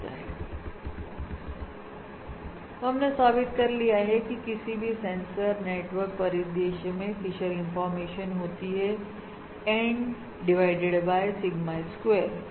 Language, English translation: Hindi, What we have just established is that the Fisher information for this sensor network scenario is N divided by Sigma square